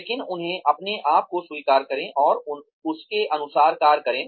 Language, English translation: Hindi, But, admit them to yourself, and act accordingly